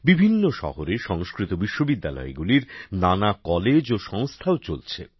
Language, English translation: Bengali, Many colleges and institutes of Sanskrit universities are also being run in different cities